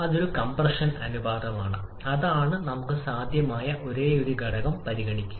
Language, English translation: Malayalam, That is a compression ratio and that is probably the only factor that we can consider